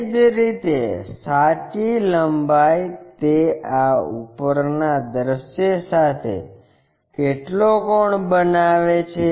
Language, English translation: Gujarati, Similarly, true length what is the angle it is making on this top view also